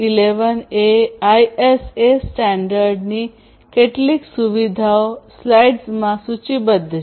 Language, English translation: Gujarati, 11a ISA standard are listed over here in front of you